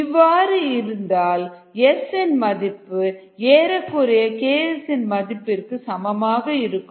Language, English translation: Tamil, if that is a case, then s is the approximately equal to k s